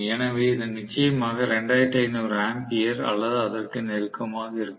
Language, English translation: Tamil, So this will be definitely close to some 2500 ampere or something